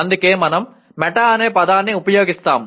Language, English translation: Telugu, That is why we use the word meta